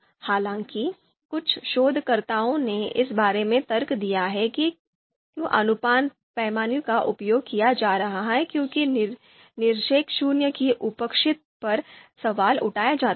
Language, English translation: Hindi, So some researchers have argued about you know why ratio scale is being used because there is presence of absolute zero that is questioned